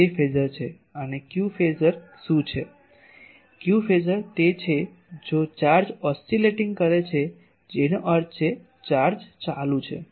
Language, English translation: Gujarati, q Phasor is if the charge is oscillating that means, charge is going